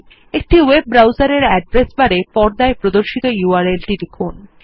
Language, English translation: Bengali, In a web browser address bar, type the URL shown on the screen